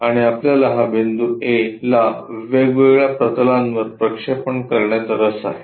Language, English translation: Marathi, And, we are interested in projection of this point A onto different planes